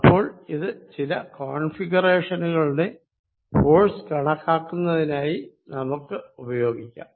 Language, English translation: Malayalam, So, now let use this to calculate forces on some configuration